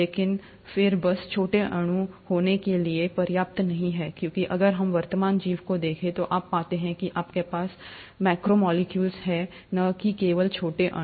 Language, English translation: Hindi, But then, just having small molecules is not enough, because if we were to look at the present day life, you find that you have macromolecules, and not just smaller molecules